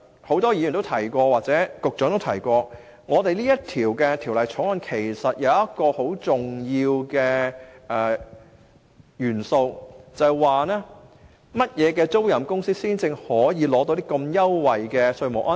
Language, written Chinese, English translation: Cantonese, 很多議員或局長亦提到，《條例草案》訂定一個很重要的元素，以決定甚麼租賃公司可取得這優惠的稅務安排。, Many Members or the Secretary has mentioned that the Bill has stipulated a very important element for determining what aircraft leasing companies are qualified for this tax concession